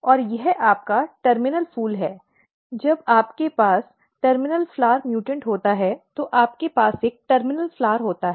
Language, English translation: Hindi, And this is your terminal flower when you have terminal flower mutant you have a terminal flower